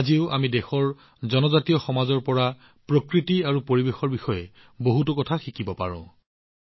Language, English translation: Assamese, Even today, we can learn a lot about nature and environment from the tribal societies of the country